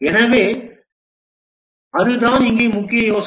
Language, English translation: Tamil, So, that's the main idea here